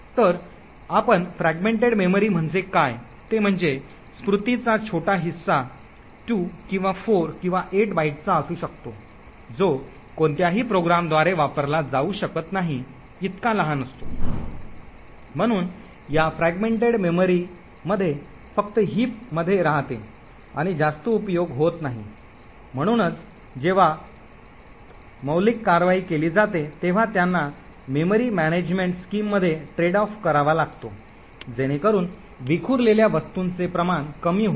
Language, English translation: Marathi, So what we mean by fragmented memory is that they would be tiny chunk of memory may be of 2 or 4 or 8 bytes which are too small to be actually used by any program, so by these fragmented memory just reside in the heap and is of not much use, so essentially when malloc implementations are made they would have to trade off between the memory management scheme so as to reduce the amount of fragmentation present